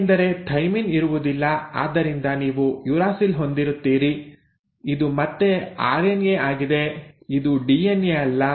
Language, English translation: Kannada, because there is no thymine so you will have a uracil; this is again an RNA it is not a DNA